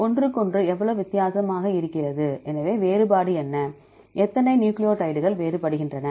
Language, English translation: Tamil, So how far each different from each other; so what is the difference, how many nucleotides are different